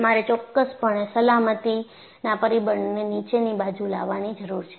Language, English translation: Gujarati, So, you need to definitely bring out factor of safety down